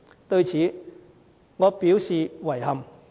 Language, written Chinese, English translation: Cantonese, 對此，我表示遺憾。, I am disappointed about this